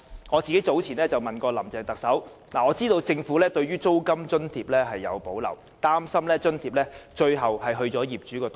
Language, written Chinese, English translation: Cantonese, 我早前問過特首林鄭月娥，知道政府對租金津貼有所保留，擔心這筆津貼最終會落入業主的口袋。, Earlier on I learnt from Chief Executive Carrie LAM that the Government had reservation about the proposed rental subsidy worrying that property owners would pocket the relevant subsidy in the end